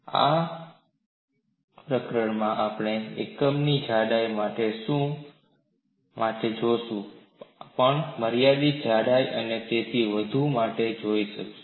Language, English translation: Gujarati, In this chapter, we would look at for unit thickness; we would also look at for finite thickness and so on